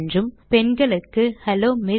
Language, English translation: Tamil, for males and Hello Ms..